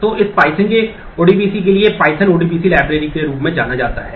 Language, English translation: Hindi, So, python for this the ODBC for python is known as pyODBC library